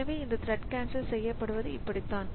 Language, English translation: Tamil, So, this is how this thread cancellation takes place